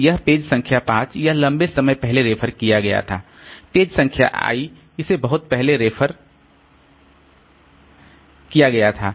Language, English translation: Hindi, So, this page number 5, so it was referenced long back, page number I it was referenced long back